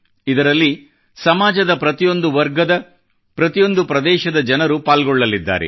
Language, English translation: Kannada, It will include people from all walks of life, from every segment of our society